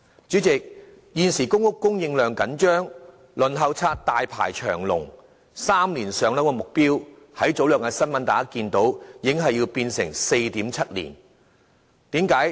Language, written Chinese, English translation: Cantonese, 主席，現時公屋供應緊張，輪候冊大排長龍，大家在早兩天新聞都已得悉 ，"3 年上樓"的目標已經變為 4.7 年。, President given the tight supply in public housing for the time being the waiting list for public rental housing is exceptionally long . We learned from the news a couple of days ago that the three - year target has now become 4.7 years